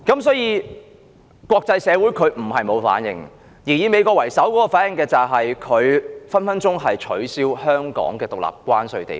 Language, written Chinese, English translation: Cantonese, 所以，國際社會不是沒有反應，而美國為首的反應是很可能透過《美國—香港政策法》，取消香港獨立的關稅地位。, Hence the international society is not without reaction but the first reaction from the United States may be the abolition of Hong Kongs status as a separate customs territory through the United States―Hong Kong Policy Act